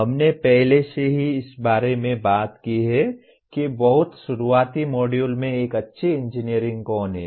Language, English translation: Hindi, We have talked about already who is a good engineering in the very early modules